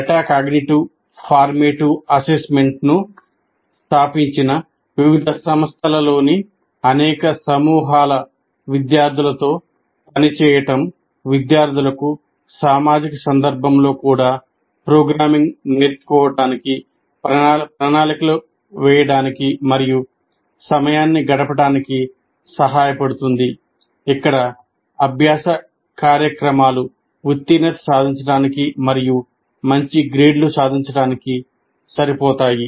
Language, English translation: Telugu, Working with several groups of students at different institutions established, metacognitive, formative assessment helps students plan and invest time in learning programming even in the social context where learning programs will be enough to pass and score good grades